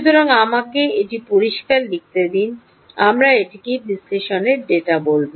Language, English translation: Bengali, so let me write it clean: ah, we will call it analysis data